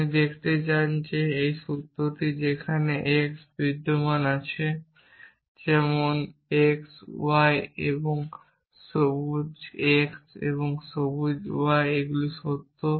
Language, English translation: Bengali, You want to show that this formula which is there exist x exist y such that on x y and green x and not green y these true